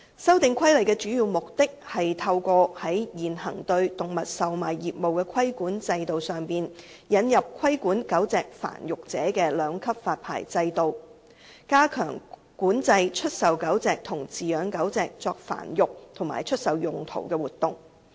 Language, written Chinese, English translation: Cantonese, 《修訂規例》的主要目的，是透過在現行對動物售賣業務的規管制度上，引入規管狗隻繁育者的兩級發牌制度，加強管制出售狗隻和飼養狗隻作繁育及出售用途的活動。, The Amendment Regulation mainly seeks to introduce a two - tier licensing regime to govern dog breeders in addition to the existing regime for animal trading so as to enhance the regulation of sale and keeping for breeding and sale of dogs